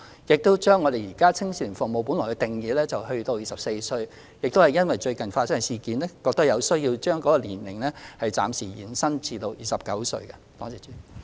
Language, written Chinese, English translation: Cantonese, 因應最近發生的事件，我們亦認為有需要修改青少年服務對象的年齡上限，由原來的24歲暫時延伸至29歲。, In response to recent incidents we also consider that it is necessary to extend the upper age limit for targets of youth services from 24 to 29